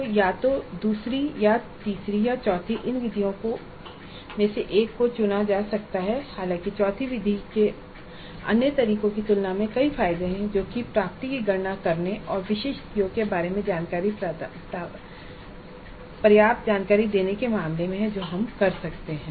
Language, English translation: Hindi, So either the second or the third or the fourth one of these methods can be chosen though the fourth method does have several advantages over the others in terms of simplicity of calculating the attainment and giving adequate information regarding specific COs that we can do